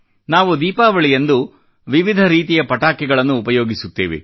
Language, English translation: Kannada, In Diwali we burst fire crackers of all kinds